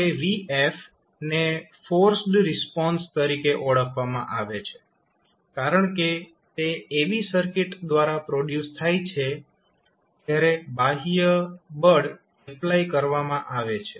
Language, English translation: Gujarati, Now, if you see vf, vf is known as the forced response because it is produced by the circuit when an external force was applied